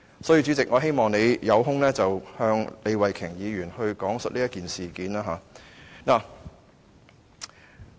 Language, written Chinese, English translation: Cantonese, 因此，主席，我希望你有空時向李慧琼議員講述這件事。, Therefore President I hope you will explain this to Ms Starry LEE when you have the time